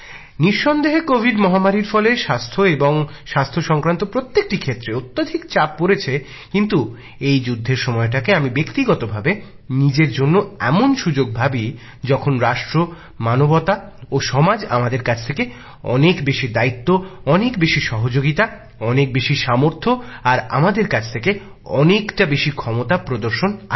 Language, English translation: Bengali, Undoubtedly during the Covid pandemic, there was a lot of strain on all the means and resources related to health but I personally consider this phase of cataclysm as an opportunity during which the nation, humanity, society expects and hopes for display of all that more responsibility, cooperation, strength and capability from us